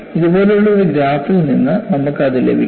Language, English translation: Malayalam, That you get from a graph like this